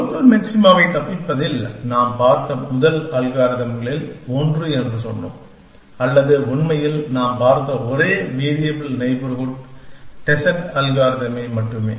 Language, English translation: Tamil, And in escaping local maxima, we said that one of the first algorithm that we looked at; or in fact, the only algorithm that we have seen is variable neighborhood descent